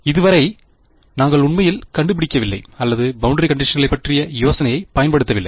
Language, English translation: Tamil, And so far, we have not really figured out or put use the idea of boundary conditions at all ok